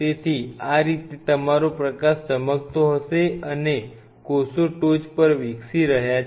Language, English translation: Gujarati, So, this is how your shining the light and the cells are growing on top of it